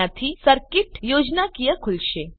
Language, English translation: Gujarati, This will open the circuit schematic